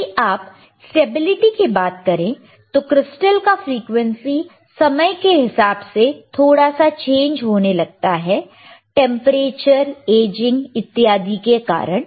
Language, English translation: Hindi, So, if you talk about stability further, the frequency of the crystal tends to change stability change slightly with time due to temperature, aging etcetera